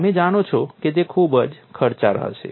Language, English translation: Gujarati, You know that would be very expensive